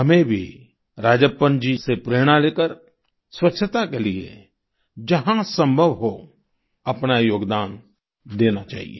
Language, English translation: Hindi, Taking inspiration from Rajappan ji, we too should, wherever possible, make our contribution to cleanliness